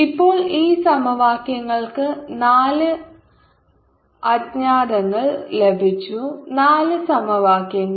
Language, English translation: Malayalam, now this, the, this equation of four, unknowns four equation